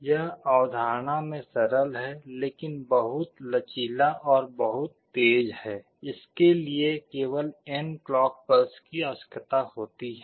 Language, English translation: Hindi, It is simple in concept, but very flexible and very fast; this requires only n number of clock pulses